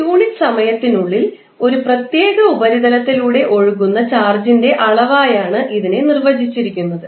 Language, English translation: Malayalam, So, it means that the amount of charge is flowing across a particular surface in a unit time